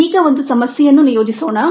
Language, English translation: Kannada, now let a problem be assigned